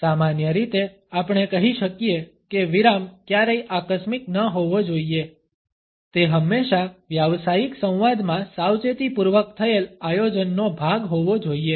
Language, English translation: Gujarati, In general we can say that the pause should never be accidental it should always be a part of careful planning in a professional dialogue